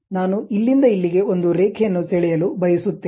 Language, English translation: Kannada, I would like to draw a line from here to here to here